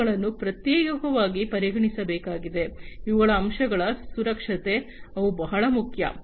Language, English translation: Kannada, These have to be considered separately, the security of aspects of these, they are very important